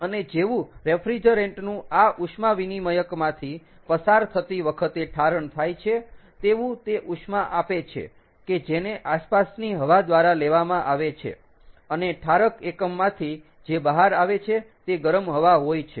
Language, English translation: Gujarati, and as the refrigerant condenses while going through this heat exchanger, it gives up heat, which is taken up by the ambient air and what comes out of the condenser unit is heated air